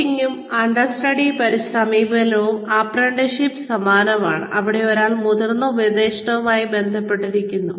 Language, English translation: Malayalam, Coaching and understudy approach, is similar to apprenticeship, where one is connected with, or put in touch with, a senior mentor